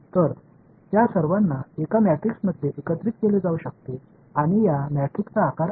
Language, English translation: Marathi, So, all of that can be combined into one matrix and the size of this matrix is